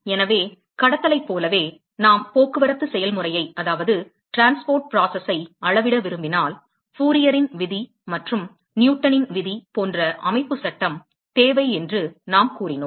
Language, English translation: Tamil, So, just like in conduction, we said that, if we want to quantify the transport process, we need constitutive law, like Fourier’s law and Newton's law